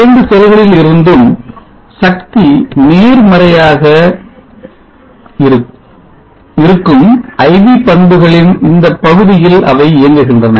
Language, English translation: Tamil, They are operating in this region of the IV characteristics where power from both the cells are positive